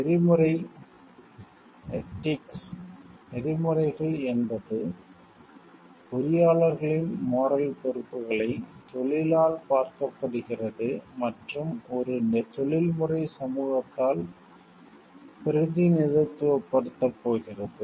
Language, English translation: Tamil, Codes of ethics are state the moral responsibilities of the engineers as seen by the profession, and represented by a professional society